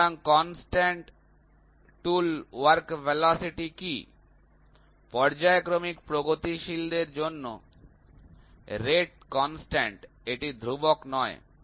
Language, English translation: Bengali, So, what is constant tool work velocity, rate constant for progressive in periodic it is not constant